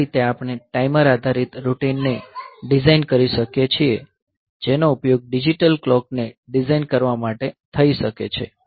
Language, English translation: Gujarati, So, in this way we can design a timer based routine that can be used for designing a digital clock